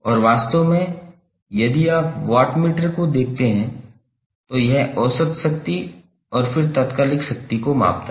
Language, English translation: Hindi, Wattmeter is using is measuring the average power then the instantaneous power